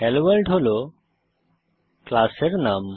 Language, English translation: Bengali, HelloWorld is the name of the class